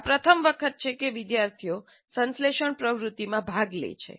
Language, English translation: Gujarati, It is the first time the students engage in synthesis activity